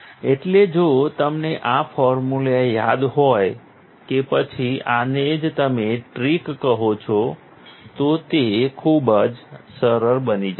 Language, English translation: Gujarati, So, if you remember this formulas or this is, what you call, tricks then it becomes very easy